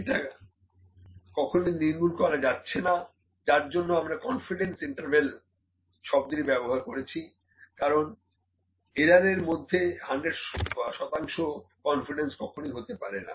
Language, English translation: Bengali, So, it can never be eliminated, that is why we use the word confidence intervals, because 100 percent confidence would never come in random kind of errors